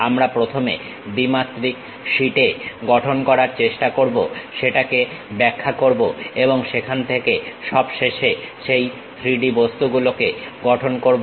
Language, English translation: Bengali, We first try to construct on two dimensional sheet, interpret that and from there finally, construct that 3D objects